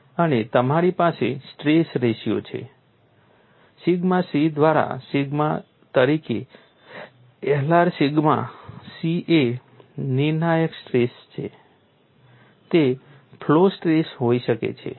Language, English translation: Gujarati, And you have stress ratio L r as sigma by sigma c; sigma c is the critical stress it could be a flow stress